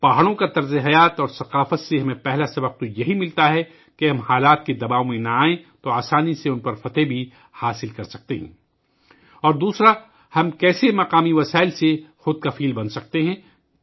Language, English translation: Urdu, The first lesson we get from the lifestyle and culture of the hills is that if we do not come under the pressure of circumstances, we can easily overcome them, and secondly, how we can become selfsufficient with local resources